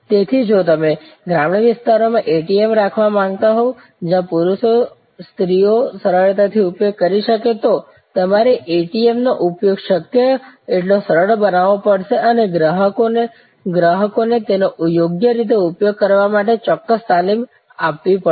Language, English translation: Gujarati, So, if you want to deploy ATM in rural areas, where men, women can easily use then; obviously, you have to make the ATM use as friendly as possible and also provides certain training to the customers to use it properly